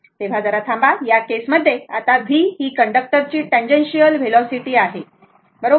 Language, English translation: Marathi, So, just hold on, so in this case, now v is the tangential velocity of the conductor, right